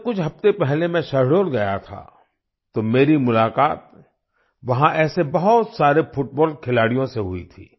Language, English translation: Hindi, When I had gone to Shahdol a few weeks ago, I met many such football players there